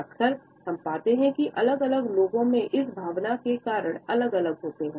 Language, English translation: Hindi, Often we find that the reasons of this emotion are different in different people